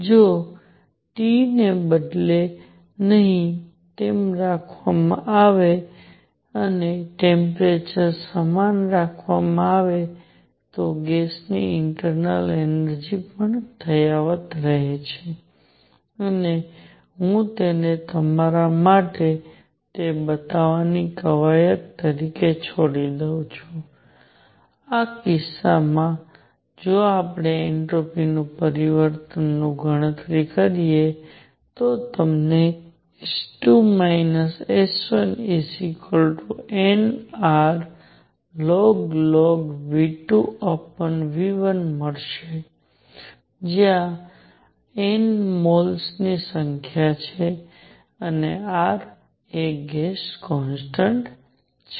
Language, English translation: Gujarati, If the temperature is kept the same if T is kept unchanged the internal energy of gas also remains unchanged and I leave it as an exercise for you to show that; in this case, if we calculate the entropy change you get S 2 minus S 1 to be equal to n R log of V 2 minus V 1 V 2 over V 1 where n is the number of moles and R is gas constant